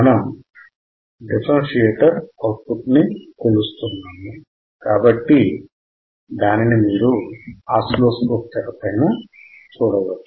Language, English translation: Telugu, We are measuring the output of the differentiator so, as you can see on the screen right